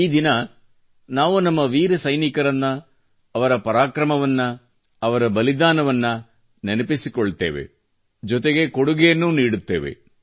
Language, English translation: Kannada, This is the day when we pay homage to our brave soldiers, for their valour, their sacrifices; we also contribute